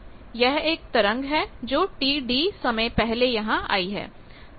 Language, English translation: Hindi, So, one wave has come just T d time before